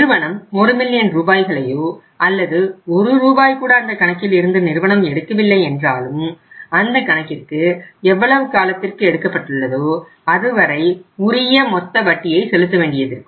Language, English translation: Tamil, Firm withdraws either entire 1 million rupees or firm does not withdraw even a single rupee out of that firm has to pay the total interest applicable on that account or on that loan for the period for how much that loan is taken by the firm